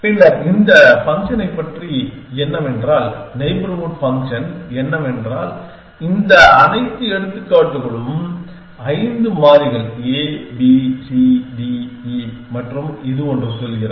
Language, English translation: Tamil, Then, thus that what about this function this one what is the neighborhood function take this all example five variables a, b, c, d, e and this one is saying